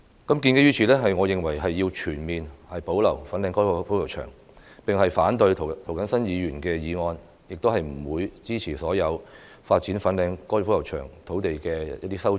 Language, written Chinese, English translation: Cantonese, 因此，我認為要全面保留粉嶺高爾夫球場，反對涂謹申議員的議案，也不會支持所有發展粉嶺高爾夫球場土地的修正案。, Therefore I hold that the Fanling Golf Course should be fully conserved and oppose Mr James TOs motion and any amendment proposing the development of the Fanling Golf Course